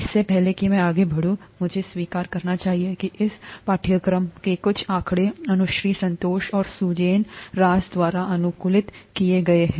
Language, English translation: Hindi, Before I go forward, I should acknowledge that some of the figures in this course have been adapted by Anushree Santosh and Sujin Raj